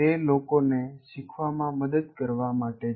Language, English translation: Gujarati, Is to help people learn